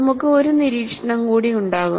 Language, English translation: Malayalam, And we will also have one more observation